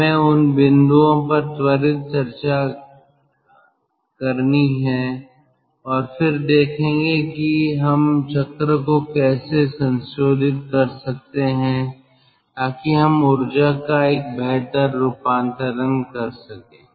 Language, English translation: Hindi, let us have this quick discussion on those points and then let us see how we can modify the cycle so that we can have a better conversion of energy